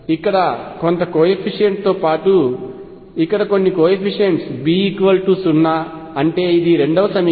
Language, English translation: Telugu, With some coefficient here A, plus some coefficients here B equals 0 that is the second equation